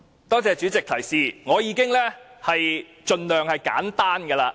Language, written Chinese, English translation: Cantonese, 多謝主席的提示，我已經盡量說得簡單的了。, President thanks for your reminder . I have been trying to make it as simple as possible